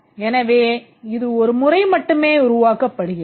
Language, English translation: Tamil, So, it gets developed only once